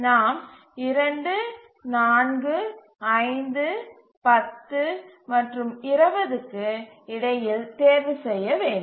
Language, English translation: Tamil, So now we have to choose between 2, 4, 5, 10 and 20